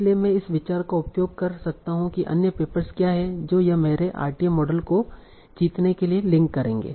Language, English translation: Hindi, So I can use this idea that what is the other papers that it will link to in my RTM model